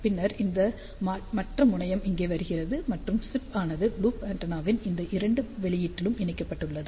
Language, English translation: Tamil, And then this other terminal is coming over here, and the chip is sold at to these two output of the loop antenna